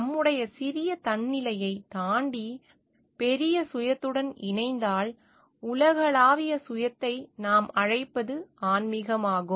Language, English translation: Tamil, If we can transcend beyond our own small shelf and get connected with the bigger self universal self rather as we call is spirituality